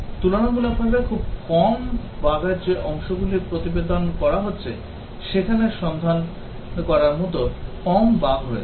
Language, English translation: Bengali, Whereas the parts that are relatively very few bugs are getting reported, there will be actually less bugs to look for